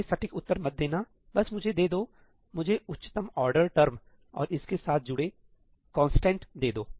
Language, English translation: Hindi, Do not give me the exact, just give me the, give me the highest order term and the constant associated with it